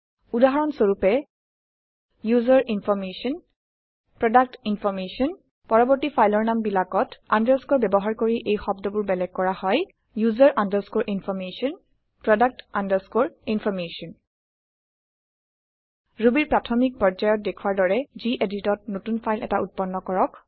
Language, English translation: Assamese, For example, UserInformation ProductInformation The subsequent file names will have underscore separating the words: user underscore information product underscore information Create a new file in gedit as shown in the basic level Ruby tutorials